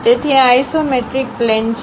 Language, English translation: Gujarati, So, these are isometric plane